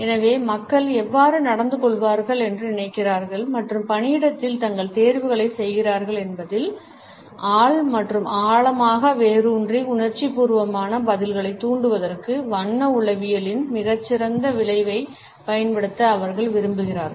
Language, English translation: Tamil, And therefore, they want to use the subliminal effect of color psychology to trigger subconscious and deeply rooted emotional responses in how people think behave and make their choices in the workplace